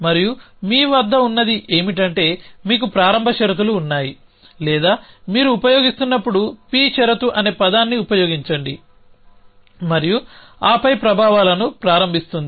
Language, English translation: Telugu, And what you have is that you have start conditions or lets use a term p condition at of you is using and then starts effects